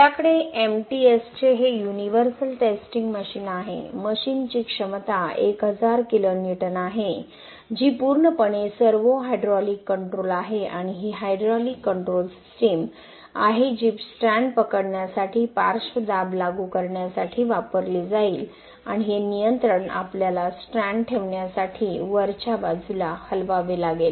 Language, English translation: Marathi, We have this universal testing machine from MTS, the machine capacity is 1000 kN which is fully servo hydraulic control and this is the hydraulic control system which will be used to apply the lateral pressure for gripping the strands and this controls we have to move this upper portions to place the strands